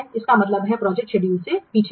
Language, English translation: Hindi, So, that means we are behind the planned schedule